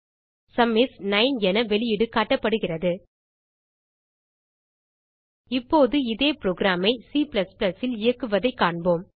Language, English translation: Tamil, The output is displayed as Sum is 9 Now let us see how to execute the same program in C++